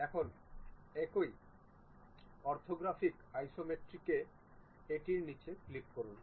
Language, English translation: Bengali, Now, in the same orthographic Isometric click this down one